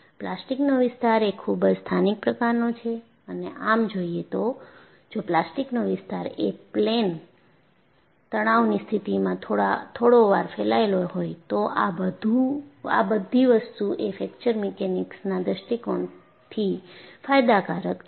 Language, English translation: Gujarati, The plastic zone is highly localized and in fact, if the plastic zone is slightly spread as in a plane stress condition, it is beneficial from Fracture Mechanics point of view